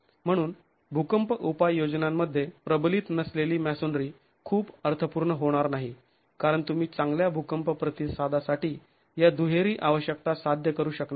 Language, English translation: Marathi, So unreinforced masonry in earthquake applications doesn't make too much of sense because you will not be able to achieve these twin requirements for good earthquake response